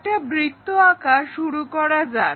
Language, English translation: Bengali, So, let us begin constructing a circle